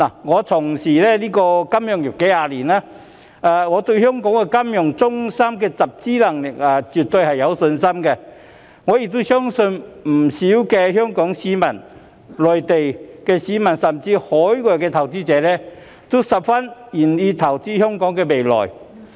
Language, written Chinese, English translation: Cantonese, 我從事金融業數十年，對香港這金融中心的集資能力絕對有信心，亦相信不少香港市民、內地市民，甚至海外投資者都十分願意投資香港的未來。, I have been engaged in the financial sector for several decades . I am absolutely confident in the fund raising capability of Hong Kongs financial centre and believe that quite a number of Hong Kong people Mainland people and even foreign investors are more than willing to invest in the future of Hong Kong